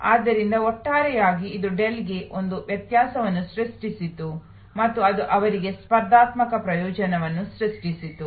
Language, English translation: Kannada, And therefore, on the whole it created a differentiation for Dell and it created a competitive advantage for them